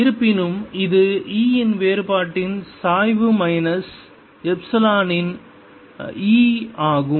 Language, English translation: Tamil, this, however, is gradient of divergence of e minus laplacian of e